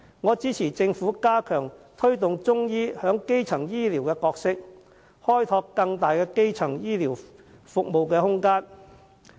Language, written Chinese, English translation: Cantonese, 我支持政府加強推動中醫在基層醫療的角色，開拓更大的空間。, I support the Government in promoting Chinese medicine in primary health care and in creating further space for development